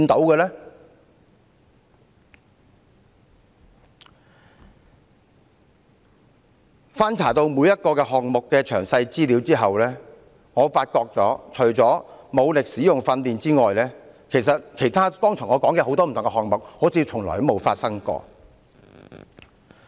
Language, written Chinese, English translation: Cantonese, 經我翻查每一項項目的詳細資料後，我發現除了武力使用的訓練外，我剛才提到的很多其他不同項目，好像從來也沒有發生過。, After looking up the detailed information of each item I found that apart from weapon training many other items I mentioned just now seem to have disappeared